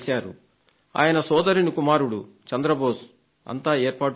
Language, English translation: Telugu, His nephew Chandra Bose had organized everything